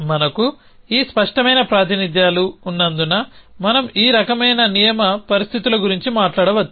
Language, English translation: Telugu, So, because we have this explicitly representations we can talk about this kind of rule conditions